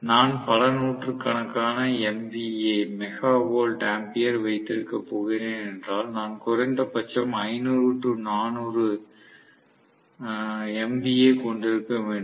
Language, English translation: Tamil, So, if I am going to several hundreds of MVA – Mega Volt Ampere, maybe I am going to have 500 400 MVA minimum